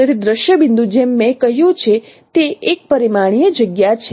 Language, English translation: Gujarati, So scene point as I mentioned is in one dimensional space